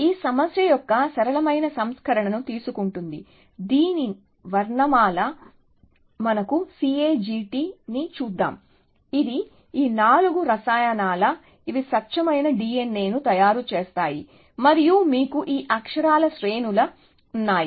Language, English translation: Telugu, So, will take a simpler version of this problem, so the alphabet of this is let us see C A G T, which are this four chemicals, which make a pure D N A, and you have sequences of these characters